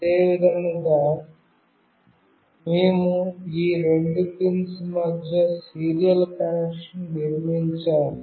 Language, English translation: Telugu, Similarly, we have to build a serial connection between these two pins